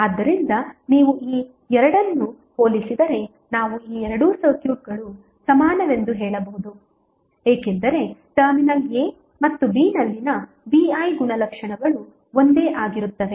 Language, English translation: Kannada, So, if you compare these two we can say that these two circuits are equivalent because their V I characteristics at terminal a and b are same